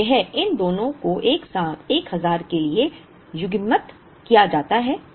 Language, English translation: Hindi, So this, these two are coupled together for a 1000